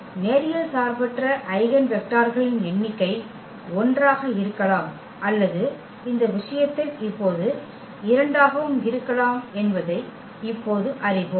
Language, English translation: Tamil, So, we know now that the number of linearly independent eigenvectors could be 1 or it could be 2 also now in this case